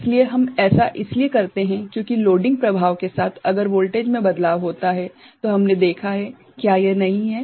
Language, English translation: Hindi, So we do because with loading effect if the voltage changes we have seen that is not it